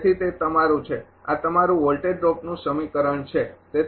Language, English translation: Gujarati, So, that is your; this is your voltage drop equation